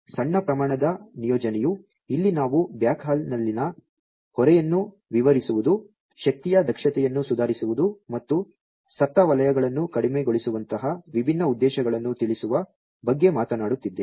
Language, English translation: Kannada, Small scale deployment here we are talking about addressing different objectives such as alleviating burden on the backhaul, improving energy efficiency and decreasing the dead zones